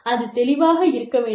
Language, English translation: Tamil, So, these need to be absolutely clear